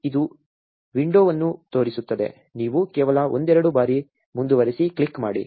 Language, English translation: Kannada, It will show up a window, you just click continue couple of times